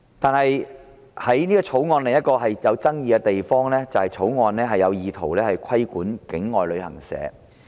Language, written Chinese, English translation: Cantonese, 但是，《條例草案》另一個具爭議的地方，就是它意圖規管境外旅行社。, However another controversial issue with the Bill is its intention to regulate travel agents outside Hong Kong